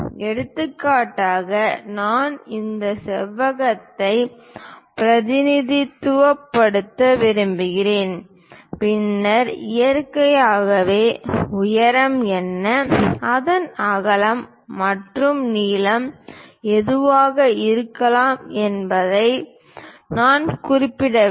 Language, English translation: Tamil, For example, I want to represent this rectangle, then naturally, I have to mention what might be height and what might be its width and length